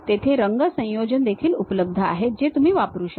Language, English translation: Marathi, Color combinations also available there, which one can really use that